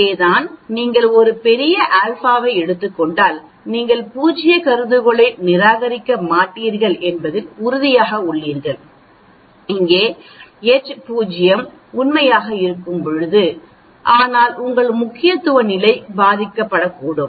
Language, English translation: Tamil, That is where if you take a larger alpha then obviously you are very sure that you will not reject the null hypothesis, where when H naught is true but then your significance level also gets affected by that